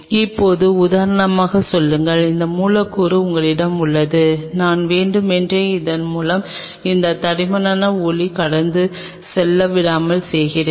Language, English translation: Tamil, Now say for example, you have this substrate through which I am just purposefully making if that thick the light does not pass